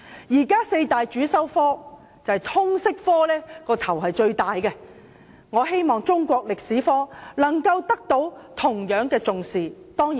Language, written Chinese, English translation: Cantonese, 現時四大主修科中，通識科的"帶頭地位"最為明顯，我們希望中史科同樣獲得重視。, Of the four major compulsory subjects at present Liberal Studies has apparently taken the leading position . We hope that Chinese History will be given the same emphasis